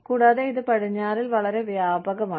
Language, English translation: Malayalam, And, this is quite prevalent, in the west